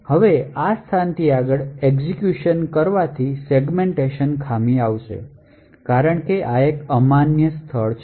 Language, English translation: Gujarati, Now further execution from this location would result in a segmentation fault because this is an invalid location